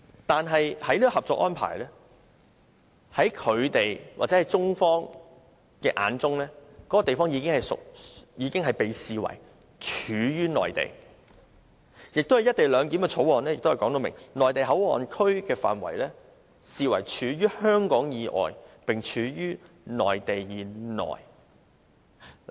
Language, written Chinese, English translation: Cantonese, 但是，根據《合作安排》，在中方的眼中，那個地方已被視為處於內地，而《廣深港高鐵條例草案》也訂明，內地口岸區的範圍視為處於香港以外，並處於內地以內。, However according to the Co - operation Arrangement in the eyes of the Mainland authorities that area has already been regarded as an area situated in the Mainland . Moreover it is stipulated under the Guangzhou - Shenzhen - Hong Kong Express Rail Link Co - location Bill the Bill that MPA is to be regarded as an area outside Hong Kong but lying within the Mainland